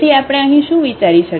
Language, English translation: Gujarati, So, what we can think here